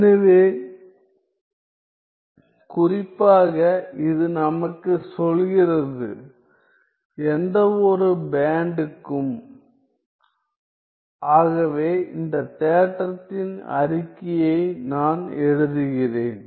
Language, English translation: Tamil, So, specifically it tells us that, any band limited so let me write down the statement of this theorem